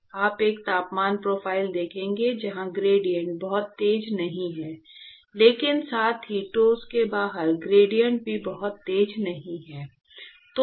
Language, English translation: Hindi, You will see a temperature profile where the gradients are not very steep, but at the same time the gradients outside the solid are also not very steep